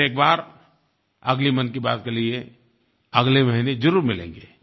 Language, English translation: Hindi, We will meet again for the next Mann Ki Baat next month